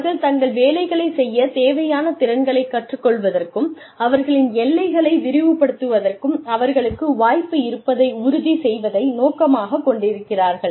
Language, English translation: Tamil, With the aim of ensuring, they have the opportunity, to learn the skills, they need, to do their jobs, and expand their horizons